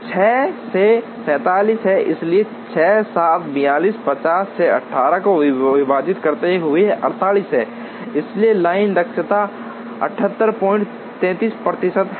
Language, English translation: Hindi, So, this is 47 by 6, so dividing 6 7's are 42, 50, 6, 8 are 48, so line efficiency is 78